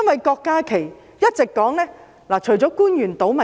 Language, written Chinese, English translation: Cantonese, 郭家麒議員一直說官員"倒米"。, Dr KWOK Ka - ki always says that the officials mess things up